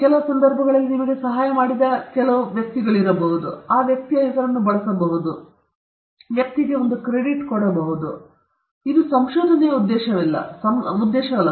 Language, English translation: Kannada, Just because somebody helped you at a couple of occasion does not mean that you should use or we can use that personÕs name, keep that personÕs name; that person might get a credit, a publication, but that is not the objective of the research